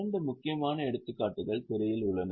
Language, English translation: Tamil, Two important examples are there on the screen